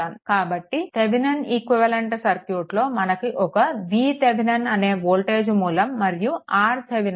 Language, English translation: Telugu, So, its Thevenin’s equivalent says that this circuit that this voltage that v Thevenin and R Thevenin right